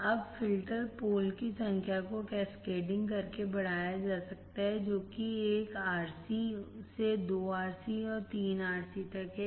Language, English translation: Hindi, Now, number of filters can be increased by cascading right number of filter poles that is from 1 RC to 2 RC to 3 RC